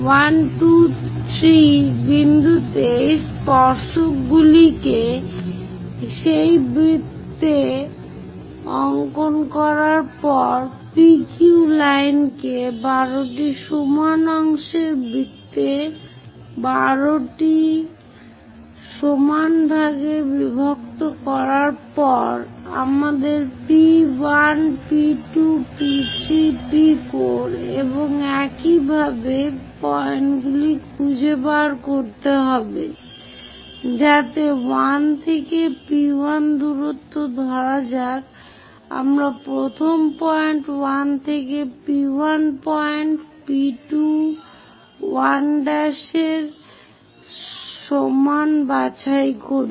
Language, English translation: Bengali, After dividing PQ line into 12 parts circle into 12 parts after drawing these tangents to that circle at point 1, 2, 3 we have to locate points P1, P2, P3, P4 and so on in such a way that 1 to P1 distance let us pick first point 1 to P1 point equal to P2 1 prime